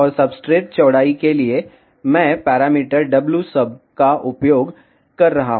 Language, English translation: Hindi, And for substrate width, I am using the parameter wsub